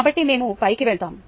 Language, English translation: Telugu, ok, so we go up and so on